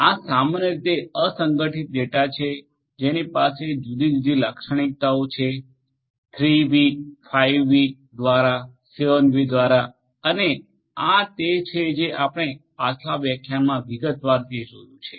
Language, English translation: Gujarati, These are typically unstructured data having different characteristics of 3 V’s, through 5 V’s, through 7 V’s and this is what we have gone through in detail in the previous lectures